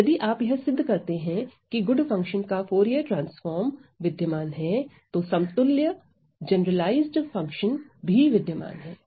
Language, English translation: Hindi, So, if you are able show that the Fourier transform of the good function exists then the corresponding generalized function also exists